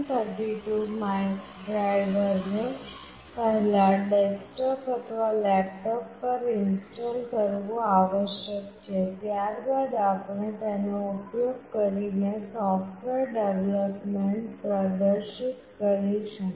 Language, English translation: Gujarati, The STM32 driver must first be installed on the desktop or laptop, then we will demonstrate the software development using this